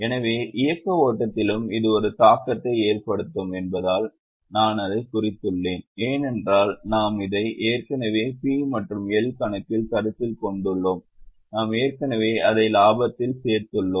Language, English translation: Tamil, So I have marked it as I, it will have one impact on operating flow as well because we have already considered it in P&L account, we have already added it in profit, so we will have to reduce it from profit